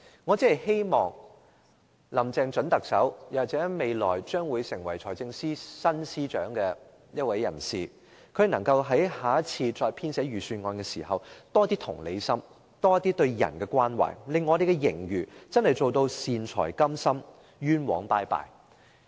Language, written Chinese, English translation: Cantonese, 我只是希望準特首林鄭月娥或下任財政司司長在編寫下一份預算案時展現更大的同理心和對人的關懷，可以用盈餘做到"善財甘心，冤枉再見"。, I merely hope that Chief Executive - elect Carrie LAM or the next Financial Secretary can show greater empathy and care for the people when compiling the next Budget and spend its fiscal surplus generously on introducing benevolent measures rather than taking forward extravagant projects